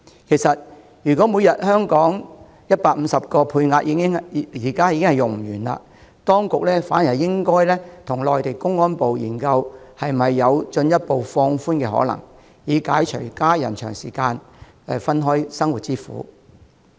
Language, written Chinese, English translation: Cantonese, 其實，如果每天150個配額已不能用完，當局應考慮與內地公安部研究進一步放寬的可能，以解除家人長時間分開生活之苦。, As the 150 daily quota is not fully utilized the authorities should discuss with Mainlands Ministry of Public Security and consider further relaxation to relieve the plight of prolonged separation suffered by these families